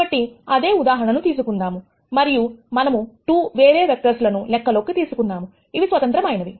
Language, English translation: Telugu, So, take the same example and let us consider 2 other vectors, which are independent